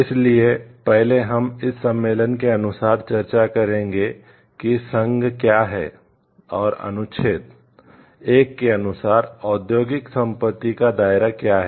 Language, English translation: Hindi, So, first we will discuss according to this convention, what is the establishment of the union and the scope of industrial property according to the article 1